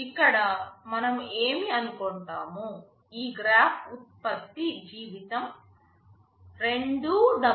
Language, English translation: Telugu, Here what we assume is that as this graph shows that the product life is 2W